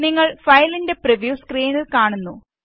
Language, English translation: Malayalam, You see that the preview of the file on the screen